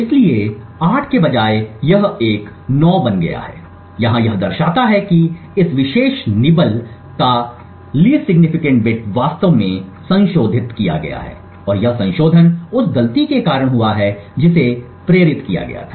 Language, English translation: Hindi, So instead of 8 over here it has become a 9 indicating that the LSB bit of this particular nibble has actually been modified and this modification has occurred due to the fault that has been induced